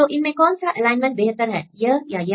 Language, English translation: Hindi, So, which one is the good alignment